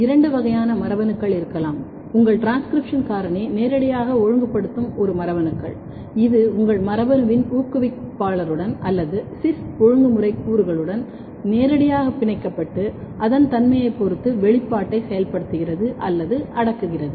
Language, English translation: Tamil, So, to establish so there could be two kinds of genes, one genes which your transcription factor is directly regulating, it is going physically binding to the promoter or the cis regulatory elements of your gene and activating or repressing the expression depending on its nature or it is indirectly regulating